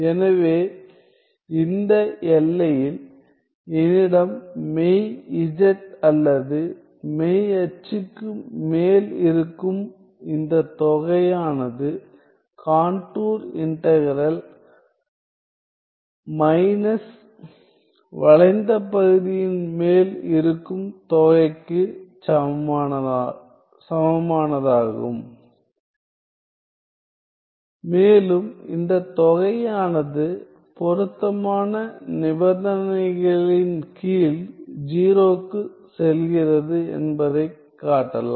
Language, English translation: Tamil, So, in this range I have that this integral which is over the real over the real z or real axis is equal to the contour integral minus the integral over the curved part right and further it can be shown that this integral goes to 0 under suitable conditions condition which is given by the